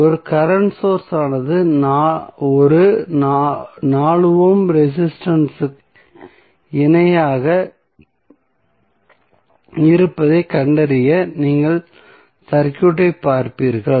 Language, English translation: Tamil, You will simply see the circuit that is if you see this particular segment you will see that one current source is in parallel with one 4 ohm resistance, right